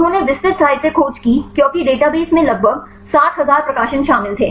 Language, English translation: Hindi, They did the detailed literature search because the included about 60,000 publications right in the database